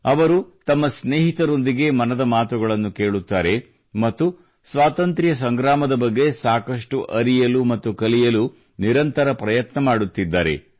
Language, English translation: Kannada, He listens to Mann Ki Baat with his friends and is continuously trying to know and learn more about the Freedom Struggle